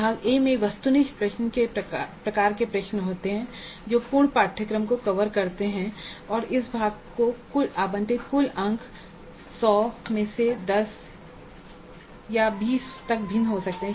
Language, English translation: Hindi, Now part A has objective type questions covering the complete syllabus and the total marks allocated to this part may vary from 10 to 20 out of the total of 100